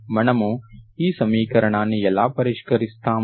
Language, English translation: Telugu, How do we solve this equation